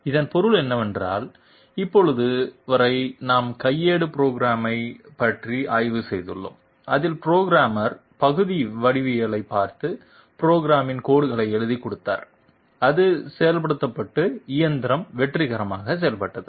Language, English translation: Tamil, This means that up till now we have studied about manual programming in which the operator was I mean the programmer was writing lines of the program by looking at the part geometry and that was being executed and the machine was successfully done